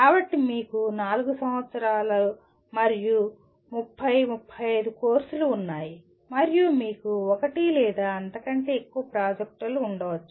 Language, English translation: Telugu, So you have 4 years and possibly 30 35 courses and you have maybe one or more projects